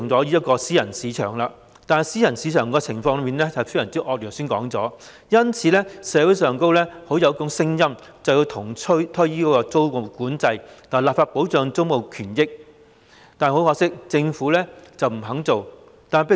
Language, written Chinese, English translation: Cantonese, 不過，正如剛才所說，私人市場的情況非常惡劣，社會上因而出現要求重推租務管制、立法保障租務權益的聲音，但政府卻不肯做。, However as I mentioned earlier the situation in the private market is most unsatisfactory . As a result there are voices in society calling for the reintroduction of tenancy control and enactment of legislation for protection of tenancy rights but the Government has refused to do so